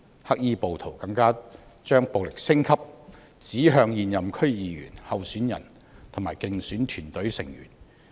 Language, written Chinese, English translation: Cantonese, 黑衣暴徒更把暴力升級，指向現任區議員、候選人及競選團隊成員。, The black - clad rioters have extended their violence to incumbent DC members candidates and electioneering team members